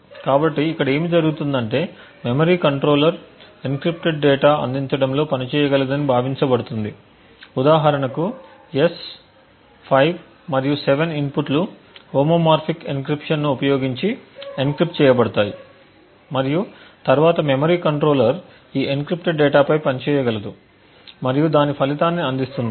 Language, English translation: Telugu, So, here what happens is that the memory controller is assumed to be able to work on encrypted data provide inputs for example S, 5 and 7 it gets encrypted using the homomorphic encryption and then the memory controller will be able to function on this encrypted data and then provide its result